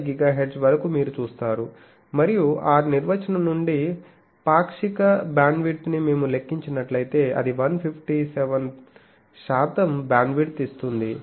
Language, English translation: Telugu, And fractional bandwidth from that definition, if we calculate it gives 157 percent bandwidth